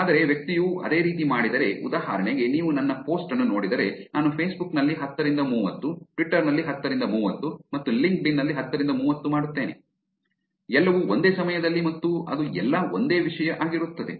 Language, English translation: Kannada, But if the person is doing the same, like for example, you see my post, I'll do 1030 on Facebook, 1030 on Twitter and 1030 on LinkedIn, all at the same time